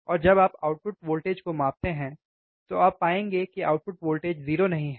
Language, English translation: Hindi, And you measure the output voltage what you will find is that the output voltage is not 0